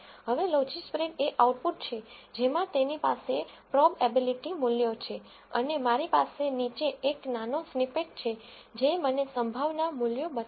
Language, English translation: Gujarati, Now, logispred is the output it has the prob ability values and I have a small snippet below that shows me the probability values